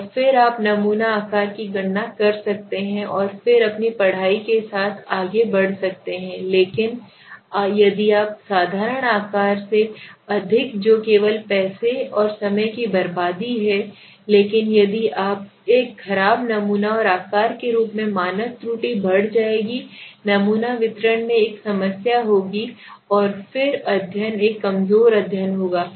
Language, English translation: Hindi, And then you can calculate the sample size and then go ahead with your studies but if you do a over simple size that is a only a waste of money and time but if you do a poor sample size as I showed you the standard error will increase the sample distribution will have a problem and then the study will be a weak study